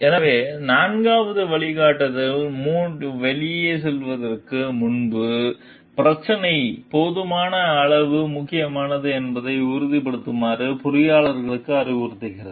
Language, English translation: Tamil, So, the fourth guideline advises engineers to make sure that the issue is sufficiently important before going out on the limb